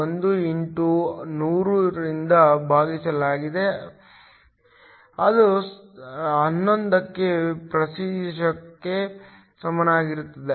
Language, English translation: Kannada, 1 x 100, that is equal to 11 percent